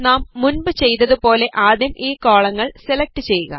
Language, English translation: Malayalam, So first select these columns as we did earlier